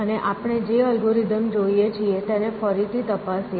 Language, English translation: Gujarati, And just recap the algorithm we extract